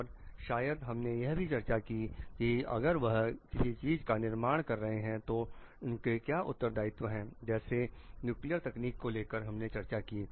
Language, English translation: Hindi, And maybe we have discussed also like what is their responsibilities if they are designing something which are of nuclear like involves technology nuclear technology